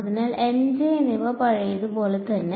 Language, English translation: Malayalam, So, M and J are the same as before